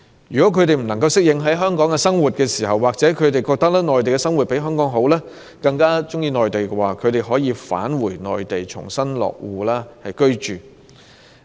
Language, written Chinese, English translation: Cantonese, 如他們不能適應香港的生活，又或認為在內地的生活較好，更喜歡在內地生活，便可以返回內地重新落戶居住。, They will thus be allowed to return to Mainland China for resettlement if they cannot adapt to the life in Hong Kong or consider their life in Mainland China better and prefer going back